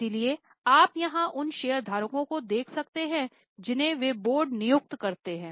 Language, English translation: Hindi, So, you can see here shareholders, they appoint board